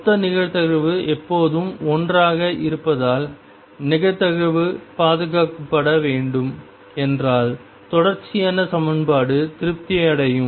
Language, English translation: Tamil, And if the probability is to be conserved which should be because total probability always remains 1, then the continuity equation will be satisfied